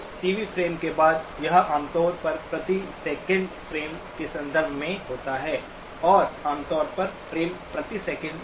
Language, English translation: Hindi, After that TV frames, it usually refer to in terms of frames per second, and typically, frames per second